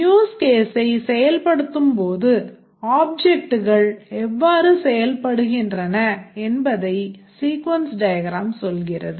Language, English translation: Tamil, The sequence diagram captures how the objects interact during execution of a use case